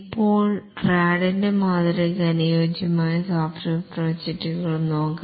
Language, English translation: Malayalam, Now let's look at the software projects for which the RAD model is suitable